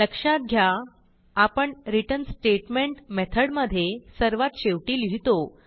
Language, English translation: Marathi, Remember that we write the return statement at the end of all statements in the method